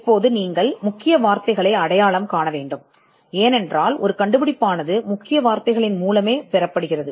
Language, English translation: Tamil, Now, you have to identify keywords because an invention is searched through keywords